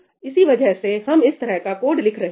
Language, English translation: Hindi, That is why we are writing this kind of code